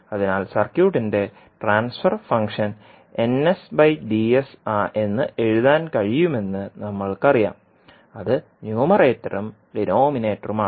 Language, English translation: Malayalam, So we know that we the transfer function of the circuit can be written as n s by d s that is numerator and denominator